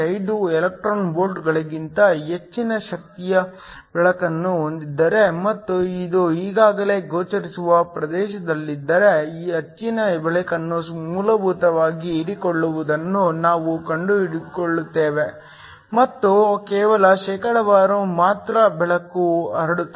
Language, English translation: Kannada, 5 electron volts and this is already in the visible region, we find that most of light essentially gets absorbed and only of small percentage of light gets transmitted